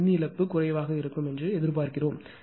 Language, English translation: Tamil, So, we except that power loss will be less that there will be less power loss